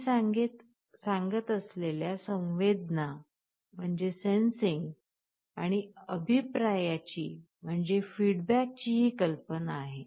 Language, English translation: Marathi, This is the notion of sensing and feedback I am talking about